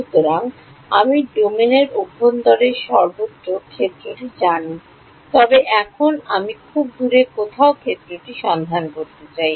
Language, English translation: Bengali, So, I know the field everywhere inside the domain, but now I want to find out the field somewhere far away